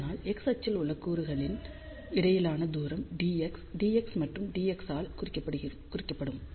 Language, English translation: Tamil, So, distance between the elements along the x axis denoted by d x d x and d x